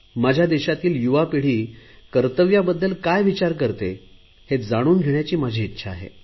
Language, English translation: Marathi, I would like to know what my young generation thinks about their duties